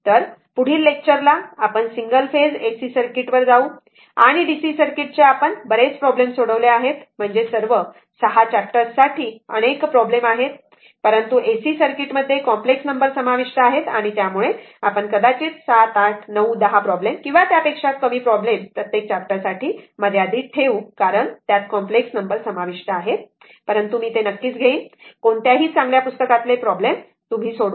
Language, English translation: Marathi, So, from the next ah if you all next lecture we will go to that single phase ac circuit; and dc circuit we have solved several problems I mean I mean several problems for all 6 chapters, but in ac circuits as complex number will be involved and because of that we will restrict the number of numericals maybe 7 8 910 per each chapter or may less because complex number involved, but I will, but any good book when you will follow you will solve the problems